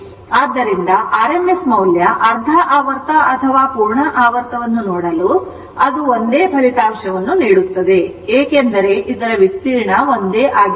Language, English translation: Kannada, So, if for making your RMS value, half cycle or full cycle it will give the same result because area of this one and area of this one is same